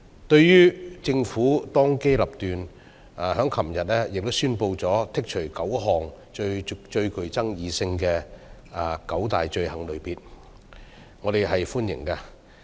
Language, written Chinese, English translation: Cantonese, 對於政府當機立斷，昨天宣布剔除9項最具爭議性的罪類，我們表示歡迎。, We welcome the Governments decisive move to announce the removal of nine most controversial items of offences yesterday